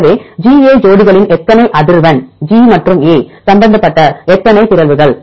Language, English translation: Tamil, So, how many frequency of pairs GA, how many mutations involved G and A